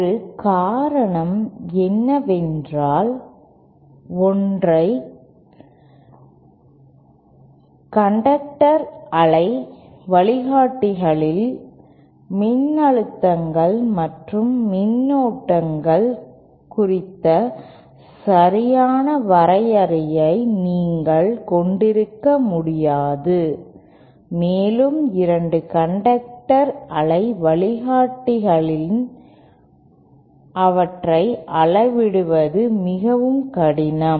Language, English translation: Tamil, One reason is because in single conductor waveguides you cannot have a proper definition of voltages and currents and in two conductor wave guides they are very difficult to measure